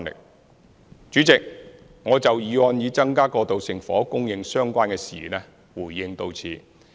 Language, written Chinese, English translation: Cantonese, 代理主席，我就"增加過渡性房屋供應"議案相關的事宜回應至此。, Deputy President this is my response to the issues related to the motion of Increasing transitional housing supply